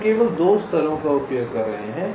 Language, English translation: Hindi, we are using only two levels